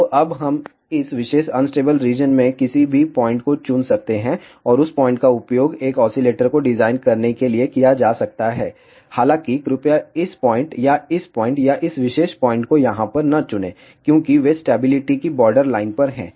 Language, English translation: Hindi, So, now, we can choose any point in this particular unstable region and that point can be used to design an oscillator; however, please do not choose this point or this point or this particular point over here, because they are at the borderline of the stability